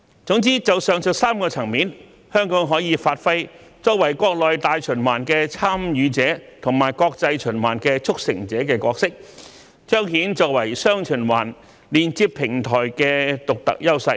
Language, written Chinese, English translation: Cantonese, 總之，就上述3個層面而言，香港可以發揮國內大循環"參與者"和國際循環"促成者"的角色，彰顯我們作為"雙循環"連接平台的獨特優勢。, All in all in respect of the three aspects mentioned above Hong Kong can leverage its role of a participant in domestic circulation and a facilitator in international circulation to present our unique strengths as the connecting platform of dual circulation